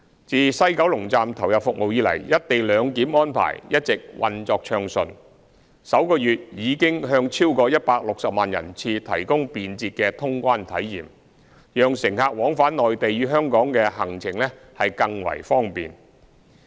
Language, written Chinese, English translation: Cantonese, 自西九龍站投入服務以來，"一地兩檢"安排一直運作暢順，首月已向超過160萬人次提供便捷的通關體驗，讓乘客往返內地與香港的行程更為方便。, Since the commissioning of the West Kowloon Station the co - location arrangement has been implemented smoothly providing over 1.6 million passenger trips with convenient clearance of immigration procedures during the first month and making it more convenient for passengers to travel between the Mainland and Hong Kong